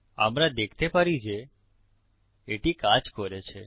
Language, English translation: Bengali, Lets just test that We can see that it worked